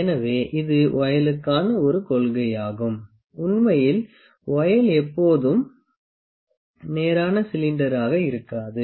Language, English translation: Tamil, So, this is a principle for a voile, actually the voile is not always is not a straight cylinder